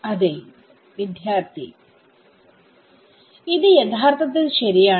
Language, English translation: Malayalam, So, this is actually ok